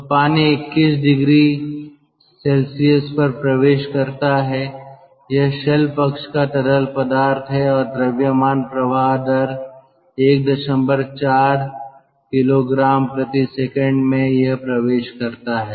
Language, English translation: Hindi, so water that enters at twenty one degree celsius, shell side fluid and mass flow rate, that is one point four